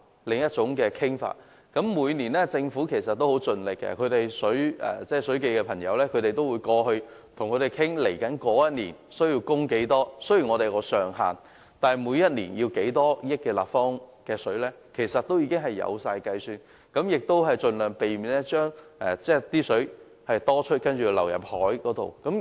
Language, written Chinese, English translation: Cantonese, 其實，政府每年也很盡力，水務署的同事是會前往與對方討論接下來一年需要多少供水，雖然當中是設有上限，但每年需要多少億立方米的食水，其實也是有計算的，亦會盡量避免因食水過多而要倒入大海。, In fact the Government has made a lot of efforts . Every year officials of the Water Supplies Department go to the Mainland to discuss how much water is to be allocated in the coming year . Though a ceiling is set the water supply quantities every year in cubic metres are pre - calculated so as to minimize excess water that will be discharged into the sea